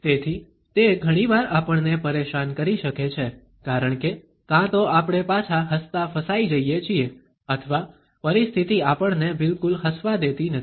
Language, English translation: Gujarati, So, it can be often irritating to us, because either we are trapped into smiling back or the situation does not allow us to a smile at all